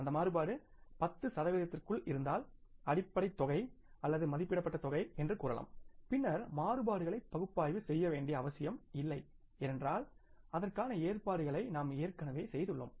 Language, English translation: Tamil, If that variance is within 10 percent of the say basic amount or the estimated amount then there is no need for analyzing the variances because we have already made the provisions for that